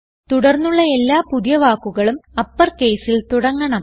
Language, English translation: Malayalam, And all new words followed should begin with an upper case